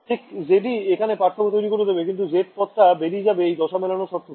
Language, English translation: Bengali, Right so, z is the guy who is making the difference, but z term vanished from this phase matching condition